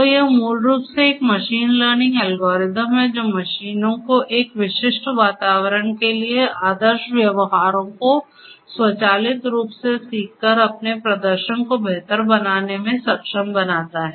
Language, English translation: Hindi, So, it is basically a machine learning algorithm which enables machines to improve its performance by automatically learning the ideal behaviors for a specific environment